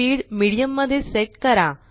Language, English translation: Marathi, Set speed at Medium